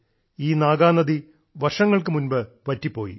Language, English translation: Malayalam, Years ago, the Naagnadi had all dried up